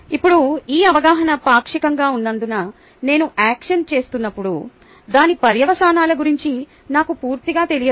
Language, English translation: Telugu, now, because this awareness is partial ok, that is when i am doing the action i am not totally aware of its consequences